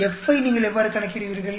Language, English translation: Tamil, How do you calculate F